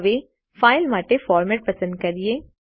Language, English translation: Gujarati, Now let us select a format for the file